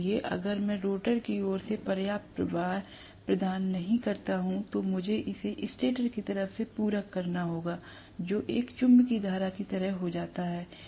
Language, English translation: Hindi, So, if I do not provide enough flux from the rotor side, I have to supplement it from the stator side, which becomes like a magnetising current